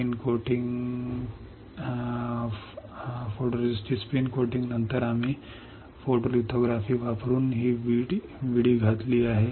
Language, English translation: Marathi, After spin coating photoresist we have opened this window using photolithography